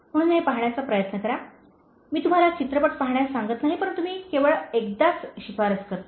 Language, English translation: Marathi, So, try to watch this one, I won’t keep telling you to watch movies but this only one time being I am recommending